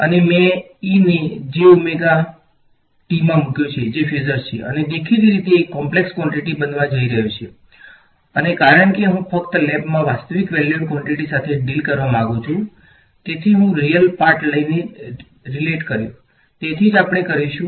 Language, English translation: Gujarati, And I have put the e to the j omega t that is the phasor and I this is; obviously, going to be a complex quantity and since I want to only deal with real valued quantities in the lab world so I related by taking the real part so, that is what we will do